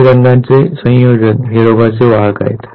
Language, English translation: Marathi, Combination of both the colors represent that the individuals are carrier of the disease